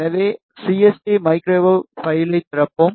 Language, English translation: Tamil, So, let us open the CST microwave file